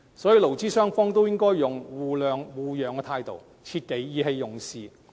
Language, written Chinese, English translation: Cantonese, 所以，勞資雙方都應該採取互諒互讓的態度，切忌意氣用事。, Therefore both parties should adopt a conciliatory approach and refrain from acting on impulse